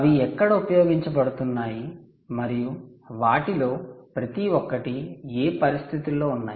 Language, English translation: Telugu, so where are they used and in what conditions do they is